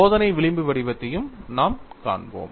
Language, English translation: Tamil, We would see another fringe pattern